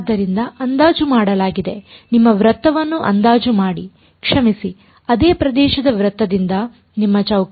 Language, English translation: Kannada, So, the approximation made is approximate your circle sorry your square by a circle of the same area